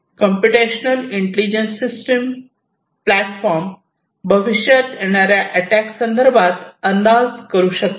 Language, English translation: Marathi, A computational intelligent system platform, which can predict if there is some kind of attack that is going to come in the future